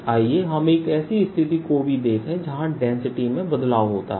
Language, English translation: Hindi, let us also look at a situation where the density varies